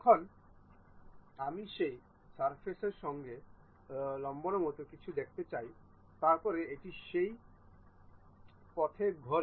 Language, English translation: Bengali, Now, I would like to see something like normal to that surface, then it rotates in that way